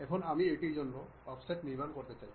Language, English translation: Bengali, Now, I would like to construct offset for this